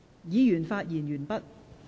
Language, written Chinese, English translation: Cantonese, 議員已發言完畢。, Members have already spoken